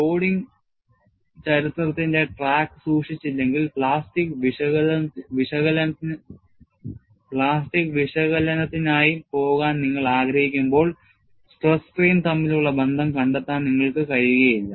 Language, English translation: Malayalam, When you want to go for plastic analysis, unless you keep track of the loading history, you will not be able to find out a relationship between stress and strain